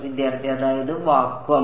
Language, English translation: Malayalam, That means, the vacuum